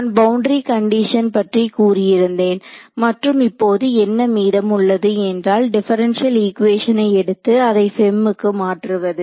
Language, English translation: Tamil, So, I have told you about the boundary condition and now what remains is to take a differential equation and convert it into the FEM form right